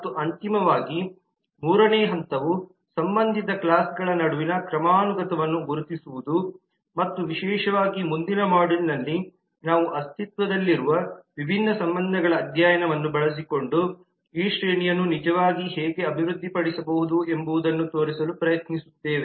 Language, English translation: Kannada, and finally the third step would be to identify the hierarchy between related classes and particularly in the next module we will try to show how this hierarchy can be really developed well using the study of different relationships that may exist